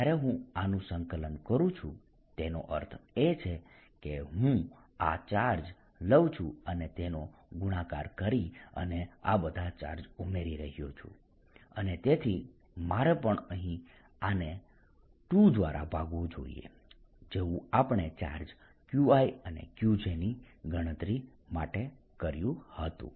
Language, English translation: Gujarati, when we do this integration, that means i am taking this charge, multiplying and adding all these charges, and therefore i should also be divided by a factor of two here, just like we did in not counting a charges q i and q j